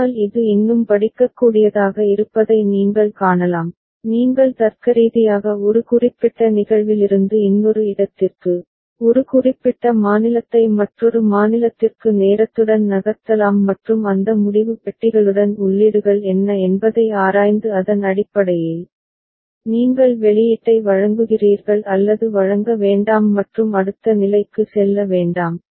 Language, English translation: Tamil, But you can see it is more readable, you can logically move from one particular instance to another, one particular state to another state along with time and with those decision boxes you examine what are the inputs and based on that, either you deliver the output or do not deliver and move to the next state ok